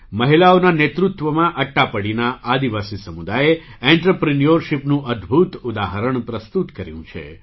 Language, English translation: Gujarati, Under the leadership of women, the tribal community of Attappady has displayed a wonderful example of entrepreneurship